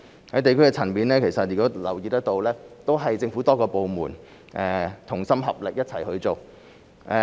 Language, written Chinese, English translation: Cantonese, 在地區層面，大家留意得到，政府多個部門同心合力一齊去做。, At the district level Members may note that various government departments are making concerted efforts to fight the pandemic